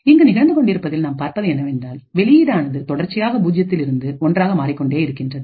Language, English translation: Tamil, So, what we see is happening here is that this output continuously changes from 0 to 1 and so on